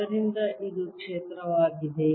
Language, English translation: Kannada, so this is the field